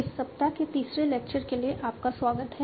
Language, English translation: Hindi, Welcome back for the third lecture of this week